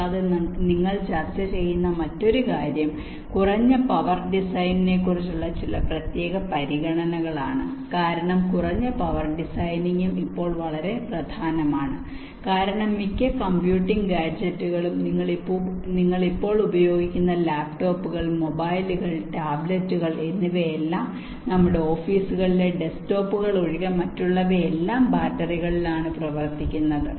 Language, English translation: Malayalam, and another thing also that you will be discussing about is some special consideration about low power design, because low power design, because low power designing will also extremely important now a days, because most of the computing gadgets that you use now a days are operated on battery, other than the desktops one, or offices, laptops, mobiles, tablets, they all operate on batteries